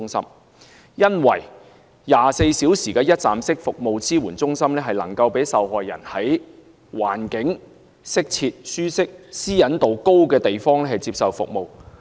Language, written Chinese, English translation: Cantonese, 首先 ，24 小時一站式服務支援中心能夠讓受害人在環境適切、舒適、私隱度高的地方接受服務。, First a 24 - hour one - stop crisis support centre allows a victim to receive appropriate services at a suitable discrete and comfortable location with high privacy protection